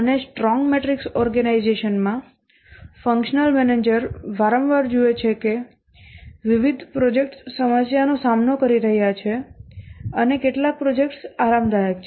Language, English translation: Gujarati, And in a strong matrix organization, the functional manager often finds that different projects are facing problem and some projects are comfortable